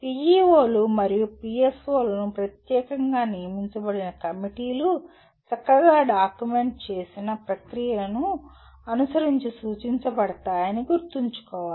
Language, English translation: Telugu, It should be remembered that PEOs and PSOs are to be written by the specially designated committees as indicated following a well documented process